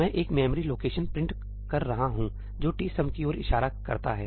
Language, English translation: Hindi, I am printing a memory location that points to tsum